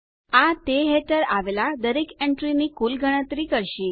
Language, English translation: Gujarati, This will calculate the total of all the entries under it